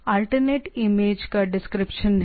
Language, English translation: Hindi, So, alternate is the description of the image